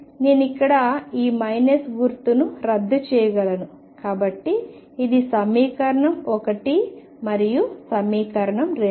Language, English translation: Telugu, I can take care of this minus sign by it here, so this is equation 1 and equation 2